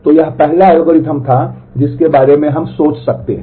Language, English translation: Hindi, So, this was the first algorithm that we can think of